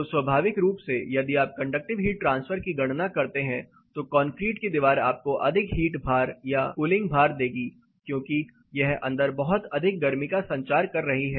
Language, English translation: Hindi, So, naturally if you do conductive heat transfer calculation, concrete wall will give you more heat load or cooling load because it is transmitting lot of heat inside